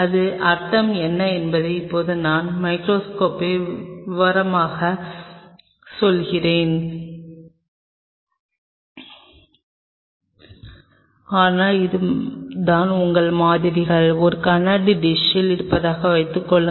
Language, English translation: Tamil, I am now getting the microscope detail what does that mean, but that is the one which will tell you that suppose your samples are in a glass dish